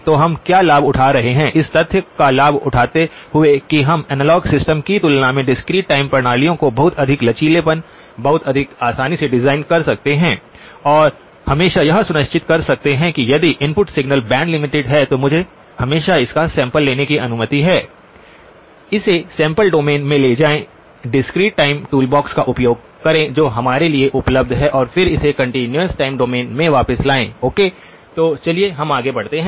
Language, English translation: Hindi, So the what are we leveraging, leveraging the fact that we can design discrete time systems with a lot more flexibility, a lot more ease then we can do analog systems and always making sure that if the input signal is band limited then I am always permitted to sample it, take it into the sample domain, use the discrete time toolbox that is available to us and then bring it back into the continuous time domain okay, so let us move on